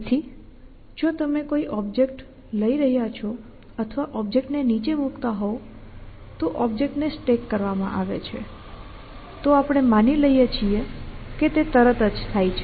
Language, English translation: Gujarati, So, if you a taking up a object or putting down a object was stacking in object and stacking in object we just assume that it happens in sent essentially